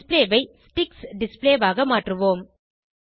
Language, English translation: Tamil, We will change the display to Sticks display